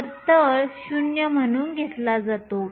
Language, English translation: Marathi, So, the bottom is taken as 0